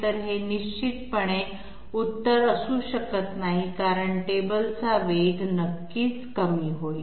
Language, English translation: Marathi, So this definitely cannot be the answer because table speed will definitely become lower